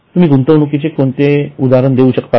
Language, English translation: Marathi, So can you give examples of investments